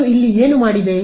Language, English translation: Kannada, What did I do over here